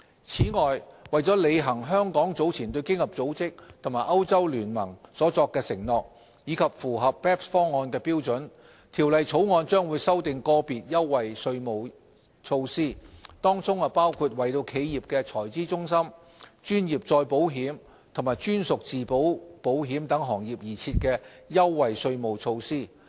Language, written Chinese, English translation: Cantonese, 此外，為履行香港早前對經合組織及歐洲聯盟所作的承諾，以及符合 BEPS 方案的標準，《條例草案》將修訂個別優惠稅務措施，當中包括為企業財資中心、專業再保險及專屬自保保險等行業而設的優惠稅務措施。, In addition to meet our recent commitments made to OECD and the European Union as well as to comply with the standards under the BEPS package the Bill amends certain concessionary tax regimes which include those catering to industries such as corporate treasury centres professional reinsurance and captive insurance